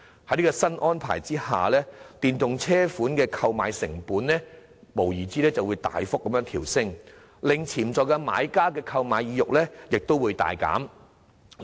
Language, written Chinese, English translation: Cantonese, 在這項新安排下，電動車款的購買成本無疑會大幅調升，令潛在買家的購買意欲大減。, Under such a new arrangement the costs for purchasing EVs will undoubtedly increase substantially thus providing a strong disincentive for potential buyers